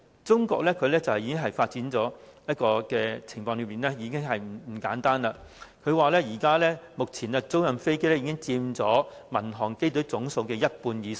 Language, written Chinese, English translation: Cantonese, 中國發展的情況已不簡單，他們表示，目前租賃飛機已佔民航機隊總數的一半以上。, They say that by now leased aircraft already account for more than half of the whole civil aviation fleet in the country